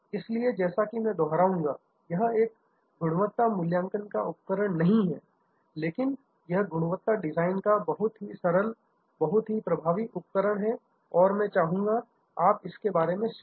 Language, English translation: Hindi, So, as I will repeat this is not a quality assessment tool, but it is a quality design tool, very simple, very effective and I would like you to think about this